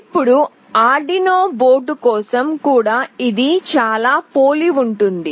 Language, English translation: Telugu, Now, for Arduino board it is very similar